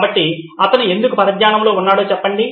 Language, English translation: Telugu, So, let’s say why is he distracted